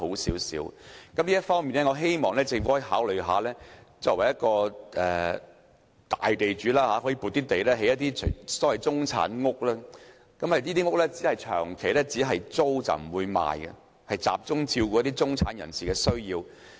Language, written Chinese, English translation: Cantonese, 在這方面，我希望作為大地主的政府可以考慮撥出土地，興建所謂"中產屋"，只作長期租賃而不放售，集中照顧中產人士的需要。, In this respect I hope that the Government being the biggest land owner can consider allocating land for constructing the so - called middle class housing for long - term tenancy only but not for sale so as to specially cater for the needs of the middle class